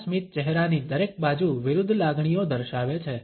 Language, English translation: Gujarati, This smile shows opposite emotions on each side of a face